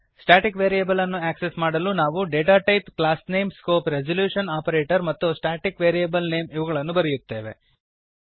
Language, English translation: Kannada, To access a static variable we write as: datatype classname scope resolution operator and static variable name